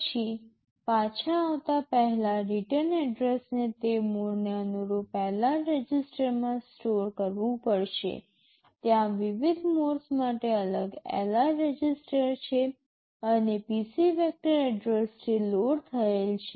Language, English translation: Gujarati, Then before coming back the return address will have to store in LR register corresponding to that mode, there are separate LR registers for the different modes and PC is loaded with the vector address